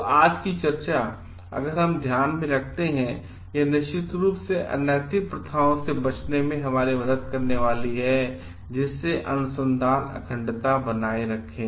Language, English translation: Hindi, And if we keep in mind the discussion of today then, it is definitely going to help us to avoid unethical practices and maintain the research integrity